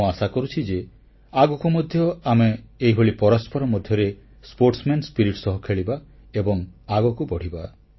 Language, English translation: Odia, I sincerely hope, that in future too, we'll play with each other with the best sportsman spirit & shine together